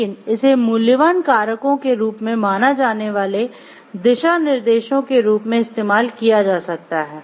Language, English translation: Hindi, But, it can be using used as a guideline to be followed in outlining the valuable factors to be considered